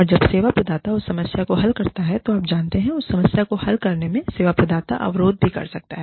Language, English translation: Hindi, And, when the service provider solves that problem, then you know, in solving their problem, the service provider may hit a roadblock